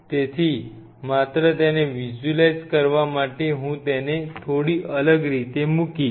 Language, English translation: Gujarati, So, just to visualize it let me just put it A slightly different way